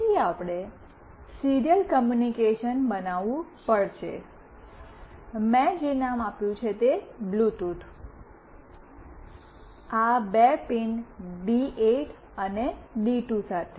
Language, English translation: Gujarati, So, first we have to create the serial communication; the name that I have given is “Bluetooth”, with these two pins D8 and D2